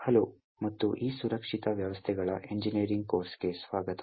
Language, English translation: Kannada, Hello, and welcome to this course of Secure Systems Engineering